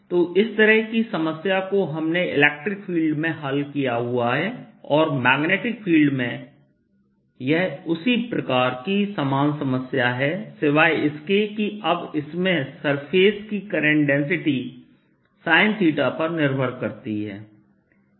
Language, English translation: Hindi, so this is a kind of problem that we solved in electric field and this is similar problem in the magnetic field, except that now it has a surface current density with sine theta dependence